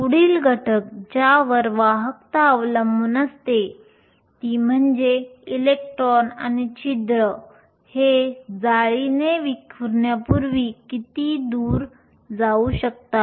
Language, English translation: Marathi, The next factor on which the conductivity depends on is how far these electrons and holes can travel before they get scattered by the lattice